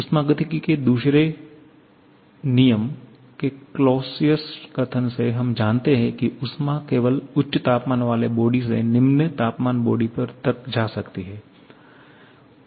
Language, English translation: Hindi, From the Clausius statement of the second law of thermodynamics, we know that heat can move only from a high temperature body to a low temperature body